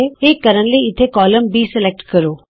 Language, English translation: Punjabi, To do that select the column B here